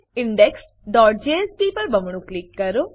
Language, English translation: Gujarati, Double click on index.jsp